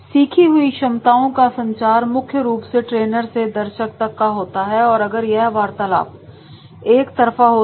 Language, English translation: Hindi, The communication of learned capabilities is primarily one way from the trainer to the audience if it is only through the spoken words